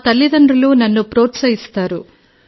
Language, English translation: Telugu, My parents are very encouraging